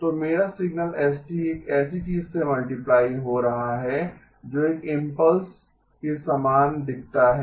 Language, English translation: Hindi, So my signal s of t is getting multiplied by something that looks like an impulse right